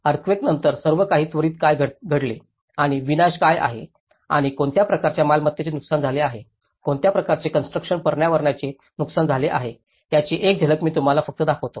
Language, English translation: Marathi, I will just show you a glimpse of what all things have happened immediately after an earthquake and how what are the destructions and what kind of property has been damaged, what kind of built environment has been damaged